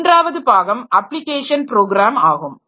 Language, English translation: Tamil, So, third part is the application programs